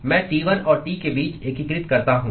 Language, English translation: Hindi, I integrate between T1 and T